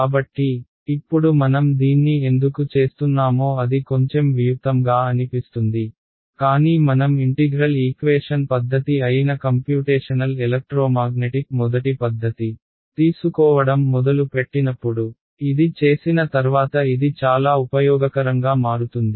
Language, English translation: Telugu, So, again this will seem a little bit abstract right now that why are we doing this, but when we begin to take the first method in computational electromagnetic which is which are integral equation method, it will become very very useful having done this